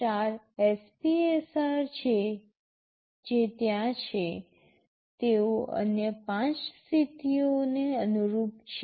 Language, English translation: Gujarati, The 4 SPSRs which are there, they correspond to the other 5 modes